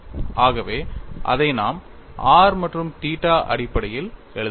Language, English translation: Tamil, So, that is the reason why we are writing it in terms of r n theta